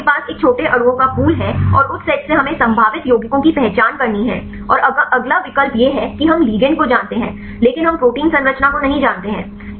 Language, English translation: Hindi, If you have pool of a small molecules and from that the set we have to identify the probable compounds and the next option is we know the ligand, but we do not know protein structure